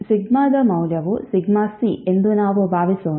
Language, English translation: Kannada, Let's assume that, value of sigma is sigma c